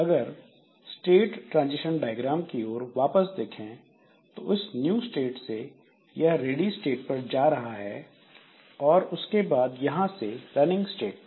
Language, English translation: Hindi, Now from this new state, we look back into this state diagram this from the new state so it was coming to a ready state and from the ready state it was going to the running state